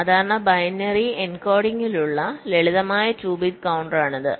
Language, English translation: Malayalam, this is a simple two bit counter with normal binary encoding